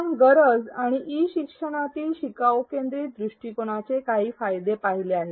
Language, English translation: Marathi, We have seen the need and some of the benefits of a learner centric approach in e learning